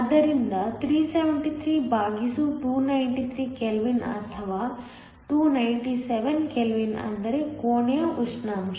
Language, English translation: Kannada, So, 373 by 293 kelvin or 297 kelvin which is room temperature